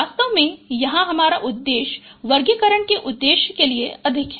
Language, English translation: Hindi, In fact the objective here is more for the purpose of classification